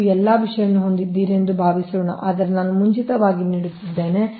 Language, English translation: Kannada, suppose you have all these things, will study, but in advance i am giving